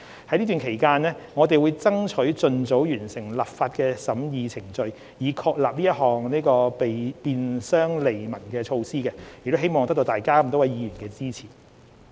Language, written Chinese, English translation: Cantonese, 在此期間，我們會爭取盡早完成立法審議程序，以確立這項便商利民的措施，亦希望得到各位議員支持。, Meanwhile we will strive to complete the legislative process as early as possible so as to put in place this measure for the convenience and benefit of the people . We also hope we will get the support of Members